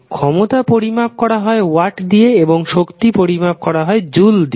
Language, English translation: Bengali, Power is measured in watts and w that is the energy measured in joules